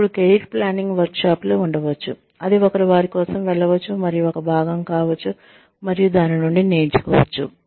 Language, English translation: Telugu, Then one, there could be career planning workshops, that one could go in for, and that one could be a part of, and that one could learn from